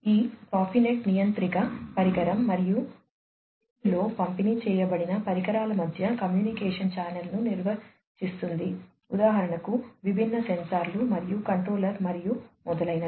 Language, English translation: Telugu, This Profinet defines the communication channel between the controller device, and the distributed devices in the field for example, the different sensors and the controller, and so on